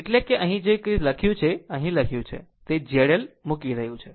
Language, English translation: Gujarati, That is, whatever it is written here right, whatever is written here, this is we are putting Z L